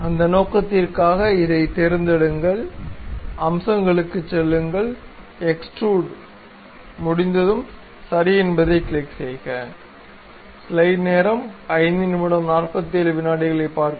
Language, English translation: Tamil, So, for that purpose pick this one, go to features, extrude cut; once done, click ok